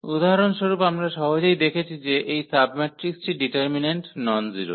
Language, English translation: Bengali, For example, this was a easy we have easily seen that this submatrix has determinant nonzero